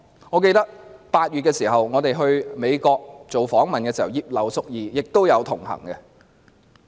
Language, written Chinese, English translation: Cantonese, 我記得我們8月到美國做訪問時，葉劉淑儀議員也有同行。, I remember that Mrs Regina IP participated in our duty visit to the United States in August